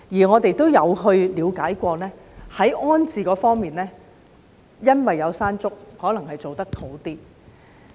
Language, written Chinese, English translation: Cantonese, 我們有了解過，在安置方面，可能因為發生"山竹"事件，所以處理得好一點。, We have tried to understand the situation and learnt that their rehousing was arranged in a better way possibly attributed to the Typhoon Mangkhut incident